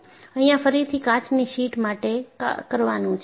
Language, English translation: Gujarati, This is again in a sheet of glass